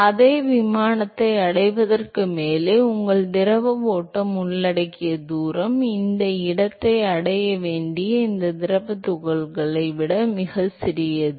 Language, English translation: Tamil, So, the distance that the fluid stream well above covers in order to reach the same plane is much smaller than these fluid particles that has to reach this location